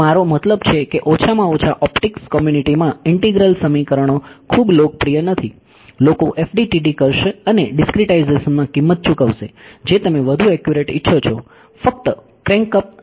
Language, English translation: Gujarati, So, I mean integral equations at least in the optics community are not very popular right, people will do FDTD and pay the price in discretization you want more accurate just crank up delta x delta y